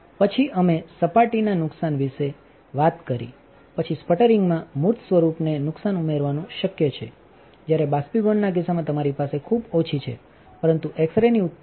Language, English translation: Gujarati, Then we talked about surface damage, then adding embodiment damage in sputtering is possible while in the case of evaporation you have a very low, but there is a generation of X ray